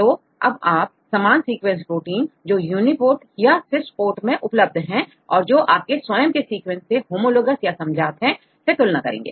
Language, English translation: Hindi, So, you have to compare the sequence of similar proteins right deposited in the Uniprot or Swiss Prot database and which are homologous to this your own sequence right